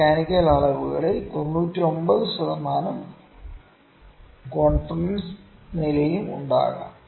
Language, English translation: Malayalam, In mechanical measurements 99 per 99 percent confidence level could also be there